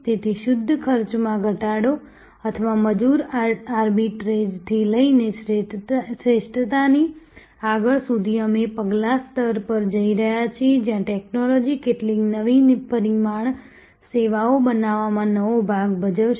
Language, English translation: Gujarati, So, from pure cost reduction or labor arbitrage to process excellence to we are going to the next level, where technology will play a new part in creating some new dimension services